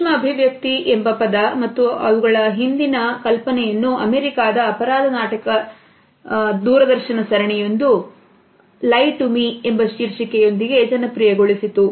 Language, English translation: Kannada, The term micro expression as well as the idea behind them was popularized by an American crime drama television series with the title of "Lie to Me"